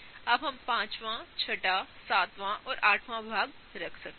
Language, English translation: Hindi, Now, let us put fifth one, sixth one, seventh, and eighth